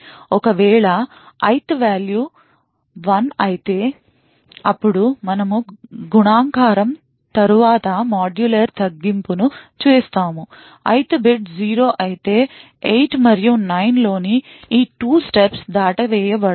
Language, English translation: Telugu, If ith is 1, then we do multiplication followed by modular reduction, if the ith bit is 0 then these 2 steps in 8 and 9 are skipped